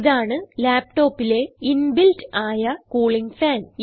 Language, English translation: Malayalam, This is the inbuilt cooling fan in the laptop